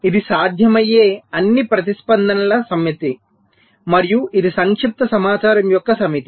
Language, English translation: Telugu, lets say, this is the set of all possible responses and this is the set of compacted information